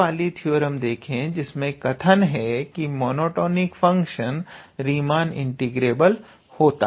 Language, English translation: Hindi, And if they are monotonic and bounded functions, then they are Riemann integrable